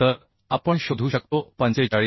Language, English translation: Marathi, 25 so we can find out 45